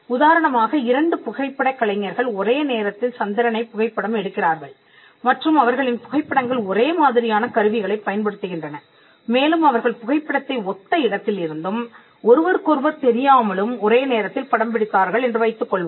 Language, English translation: Tamil, For instance, two photographers photograph the moon at the same time and their photographs look almost identical they use the same equipment and let us also assume that they shoot the photograph from similar location as well without knowledge of each other and at the same time